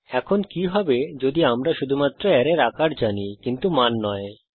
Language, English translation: Bengali, Now what if we know only the size of the array and do not know the values